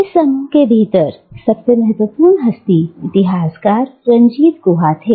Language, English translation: Hindi, And, one of the most significant figures within this group was the historian Ranajit Guha